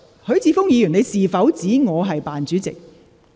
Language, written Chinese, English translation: Cantonese, 許智峯議員，你是否指我"扮主席"？, Mr HUI Chi - fung have you referred to me as the phoney Chair?